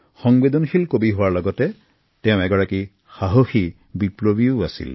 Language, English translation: Assamese, Besides being a sensitive poet, he was also a courageous revolutionary